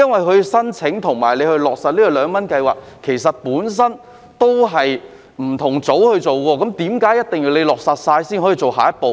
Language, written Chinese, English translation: Cantonese, 其實，申請和落實二元優惠計劃是由不同組別負責，為何一定要在落實後才可以做下一步呢？, In fact the applications for and the implementation of the 2 Scheme are handled by two different units why must the next step be taken only upon implementation of such measures?